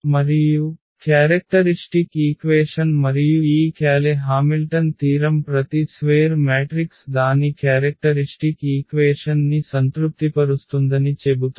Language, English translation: Telugu, And, that is what the characteristic equation and this Cayley Hamilton theorem says that every square matrix satisfy its characteristic equation